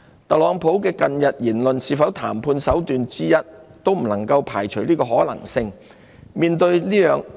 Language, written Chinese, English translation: Cantonese, 特朗普近日的言論是否談判手段之一，可能性不能排除。, It cannot be ruled out that the recent rhetoric of TRUMP is no more than a negotiation tactic